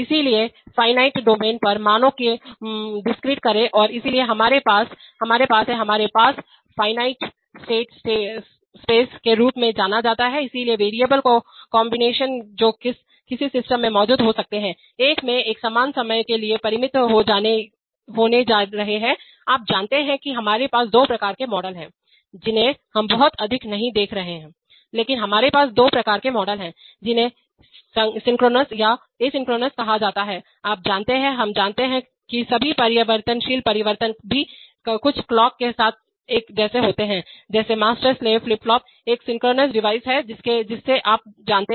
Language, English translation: Hindi, So, discrete values over finite domains and therefore we have, we have, we have what is known as the finite state space, so the combinations of variables that can exist in a, in a, in a system are going to be finite similarly time you know we have two kinds of models this we are not going to see too much but we have two kinds of models called synchronous or an asynchronous where you know, the we assume that all variable changes also occur at along with some clocks just like a, just like a master slave flip flop is a synchronous device so you know